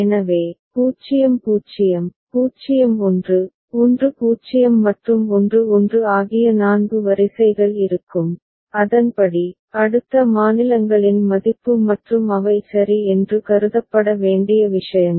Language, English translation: Tamil, So, then there would be 4 rows 0 0, 0 1, 1 0 and 1 1 and accordingly, the next states value and those are the things that need to be considered ok